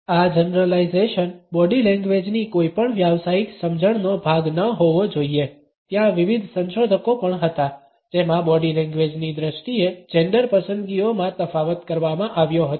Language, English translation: Gujarati, These generalizations should never be a part of any professional understanding of body language there have been various researchers also in which differences in gender preferences in terms of body language have been committed on